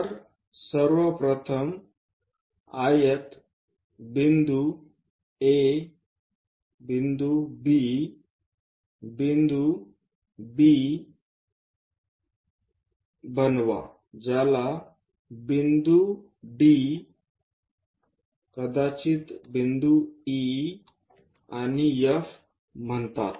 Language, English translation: Marathi, So, first of all, construct a rectangle point A point B something named D maybe E and F